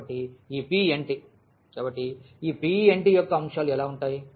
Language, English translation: Telugu, So, this P n t; so, how the elements of P n t look like